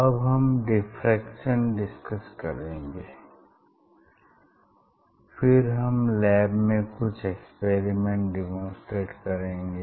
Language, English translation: Hindi, we will discuss about the diffraction and then we will demonstrate some experiment in our laboratory